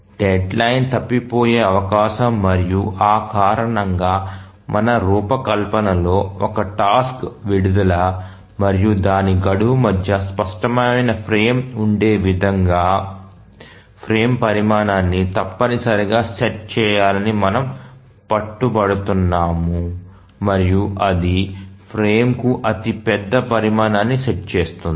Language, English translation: Telugu, And that is the reason why in our design we will insist that the frame size must be set such that there is a clear frame between the release of a task and its deadline and that sets the largest size of the frame